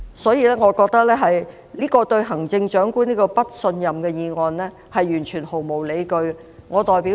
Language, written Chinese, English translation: Cantonese, 所以，我認為這項"對行政長官投不信任票"議案毫無理據。, Therefore I find this motion on Vote of no confidence in the Chief Executive totally groundless